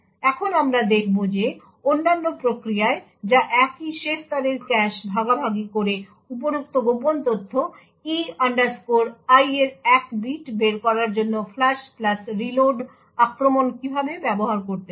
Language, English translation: Bengali, Now we will see how in other process which shares the same last level cache could use the flush plus reload attack in order to extract one bit of information above the secret E I